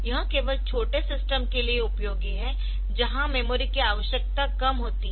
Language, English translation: Hindi, So, it is useful only for small systems where memory requirement is less